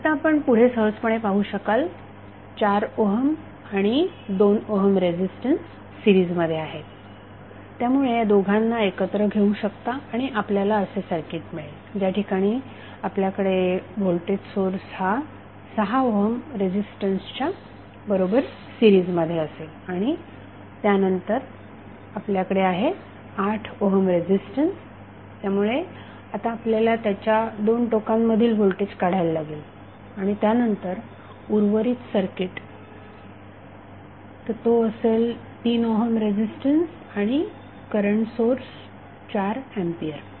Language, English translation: Marathi, So, across AB your updated circuit would be like this next what we have to do, you have to, you can see easily that 4 ohm and 2 ohm resistances are in series so you can club both of them and you will get circuit like this where you have voltage source in series with 6 ohm resistance and then you have 8 ohm resistance, so we have to find out the voltage across this and then the rest of the circuit, so that is the 3ohm resistance, and the current source of 4 ampere